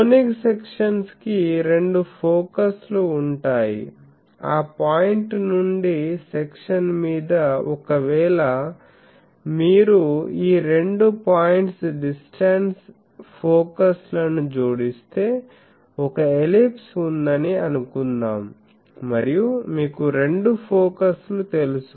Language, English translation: Telugu, If you remember the conic sections which has two focuses so, from a point on the section if you add those two points distance focus; suppose I have a ellipse and it has you know two focus